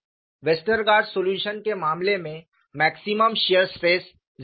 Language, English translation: Hindi, In the case of a Westergaard solution, the maximum shear stress was 0